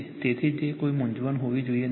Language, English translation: Gujarati, So, that should not be any confusion right